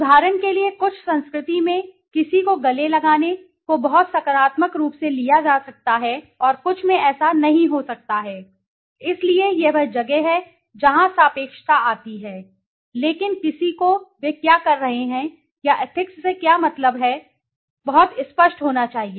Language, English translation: Hindi, In some culture for example hugging somebody might be taken as very positive and in some it might not be so, so that is where the relativity comes in so, but one has to be very clear in what they are doing or what they mean by ethics